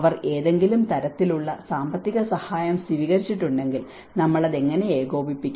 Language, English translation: Malayalam, If they have taken any kind of financial support, how we have to coordinate with that